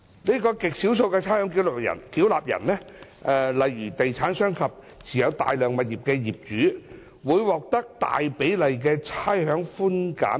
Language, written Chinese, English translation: Cantonese, 這些極少數的差餉繳納人，例如地產商及持有大量物業的業主，會獲得大比例的差餉寬減額。, A small number of ratepayers such as property developers and owners with many rateable properties will reap a large proportion of the total concession amount